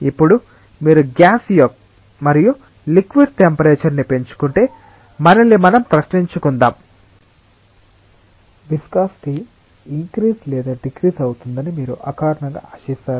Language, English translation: Telugu, Now let us ask ourselves a question if you increase the temperature of gas and a liquid, intuitively would you expect the viscosity to increase or decrease